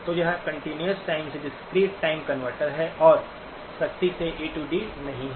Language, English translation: Hindi, So this is a continuous time to discrete time converter and not strictly A to D